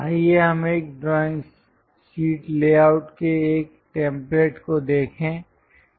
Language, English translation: Hindi, Let us look at a template of a drawing sheet layout